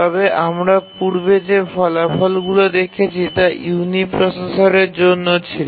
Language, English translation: Bengali, But the results that we have so far seen are for uniprocessor